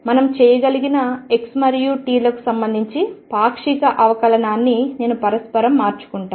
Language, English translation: Telugu, I interchange the partial derivative is with a respect to x and t that we can do